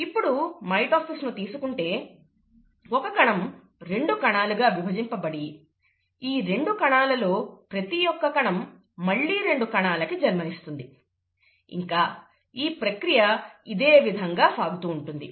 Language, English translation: Telugu, And therefore let us look at mitosis of one cell giving two cells, and each one of those giving two cells and so on and so forth